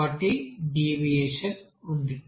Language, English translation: Telugu, So there is a deviation